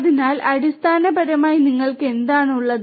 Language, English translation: Malayalam, So, essentially what you have